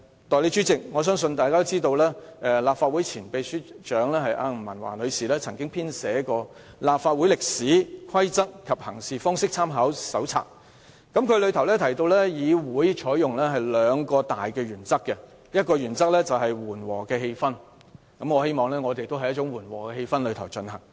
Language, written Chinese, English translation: Cantonese, 代理主席，我相信大家都知道，立法會前秘書長吳文華女士編寫了《香港特別行政區立法會歷史、規則及行事方式參考手冊》，當中提到議會採用兩項大原則：第一，緩和的氣氛，我也希望我們在緩和的氣氛下進行辯論。, Deputy President I believe Members all know that Ms Pauline NG former Secretary General of the Legislative Council Secretariat prepared A Companion to the history rules and practices of the Legislative Council of the Hong Kong Special Administrative Region in which two major principles have been mentioned . First a temper of moderation―I likewise hope that we can engage in a debate with a temper of moderation